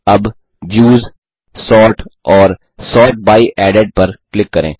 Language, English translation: Hindi, Now, click on Views, Sort and Sort by Added